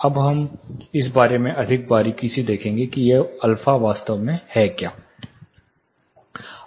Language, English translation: Hindi, Now we will look at more closely about what this alpha actually means